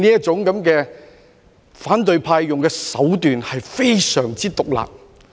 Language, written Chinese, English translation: Cantonese, 反對派所用的這種手段非常之毒辣。, The tactics employed by the opposition were very sinister